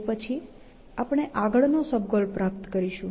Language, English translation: Gujarati, Then, we will achieve the next sub goal